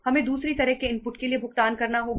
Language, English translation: Hindi, We have to pay for the other kind of inputs